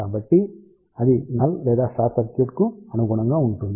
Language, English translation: Telugu, So, that will correspond to the null or short circuit